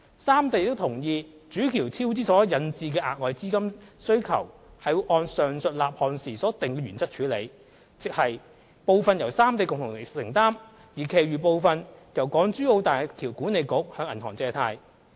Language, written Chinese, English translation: Cantonese, 三地亦同意主橋超支所引致的額外資本金需求會按上述立項時所訂定的原則處理，亦即部分由三地共同承擔、而其餘部分由大橋管理局向銀行借貸。, The three regions also agreed that additional needs for capital funds arising from cost overrun of the Main Bridge would be dealt with according to the afore - mentioned principle agreed at the time of project initiation . That is to say part of the additional funds would be contributed by the three regions together and the balance would be covered by loans from banks